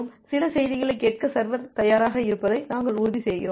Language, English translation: Tamil, We are ensuring that the server is ready to listen some message